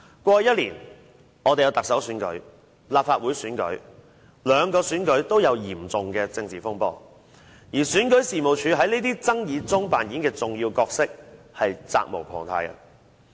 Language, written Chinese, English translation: Cantonese, 過去一年，我們曾舉行行政長官選舉和立法會選舉，兩個選舉均出現嚴重的政治風波，而選舉事務處在這些爭議中所扮演的重要角色，是責無旁貸的。, In the Chief Executive Election and the Legislative Council Election held last year there were serious political controversies in which REO was undisputedly playing a significant role